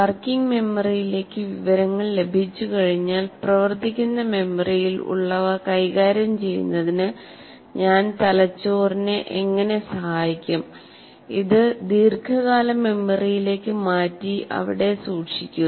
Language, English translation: Malayalam, Now having got the information into the working memory, how do I facilitate the brain in dealing with what is inside the working memory and transfer it to long term memory and keep it there